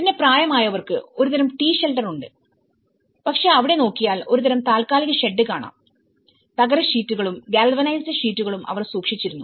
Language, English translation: Malayalam, Then, for elderly people there is a kind of T Shelter, you know how they can also but if you look at there is a kind of temporary shed, you know the tin sheets, the galvanized sheets they have kept it